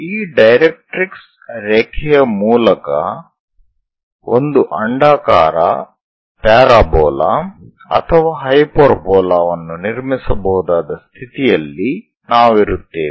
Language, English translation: Kannada, And there is a line which we call directrix line, about this directrix line one will be in a position to construct an ellipse parabola or a hyperbola